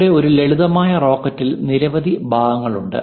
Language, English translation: Malayalam, Here a simple rocket consists of many parts